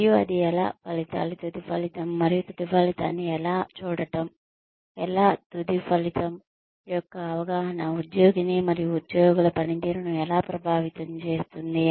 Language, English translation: Telugu, And how that, the outcomes, the end result, and how looking at the end result, or an understanding of the end result, influenced the employee and the performance of the employees